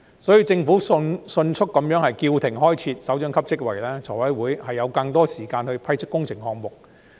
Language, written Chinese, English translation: Cantonese, 所以，政府迅速叫停開設首長級職位，財委會便有更多時間審批工程項目。, Therefore now that the Government has quickly halted the creation of directorate posts FC will have more time to vet and approve works projects